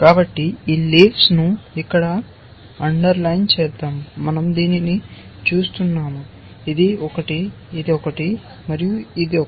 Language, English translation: Telugu, So, let me just underline these leaves here, we are looking at this one, this one, this one, and this one